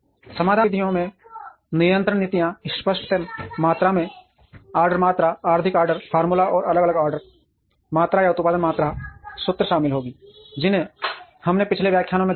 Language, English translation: Hindi, The solution methods would include control policies optimal level of order quantities, economic order formula and different order quantity or production quantity formulae, that we have seen in the previous lectures